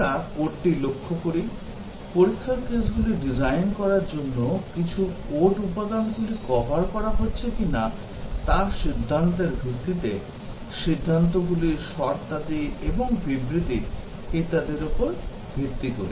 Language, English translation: Bengali, We look at the code, to design the test cases, based on whether some code elements are getting covered, decisions, conditions, and statements and so on